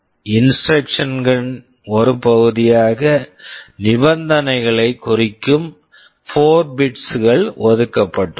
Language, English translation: Tamil, As part of an instruction there are 4 bits reserved that will be specifying the condition